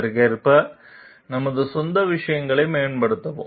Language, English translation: Tamil, And improve our thing own things accordingly